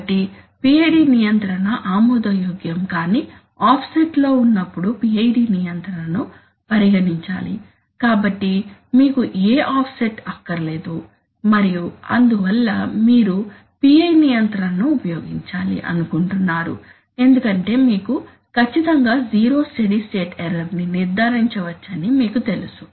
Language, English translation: Telugu, So PI control is to be considered, when P control results in an unacceptable offset, right so you do not want any offset and therefore you would, you would like that, you would like to use the PI control because you know that then you can, you can exactly ensure zero steady state error